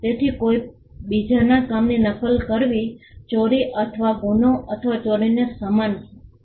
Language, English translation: Gujarati, So, copying somebody else’s work was equated to stealing or equated to the crime or theft